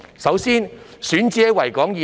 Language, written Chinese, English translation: Cantonese, 首先，選址是在維港以內。, Firstly the selected site is located within the Victoria Harbour